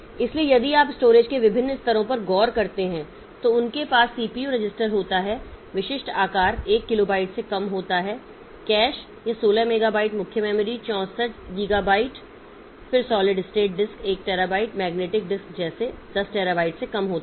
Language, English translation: Hindi, So, if you look into various levels of storage then CPU registers typical size is less than 1 kilobyte, cache it is 16 megabyte, main memory 64 gigabyte, then solid state disk 1 terabyte, magnetic disk less than 10 terabyte like that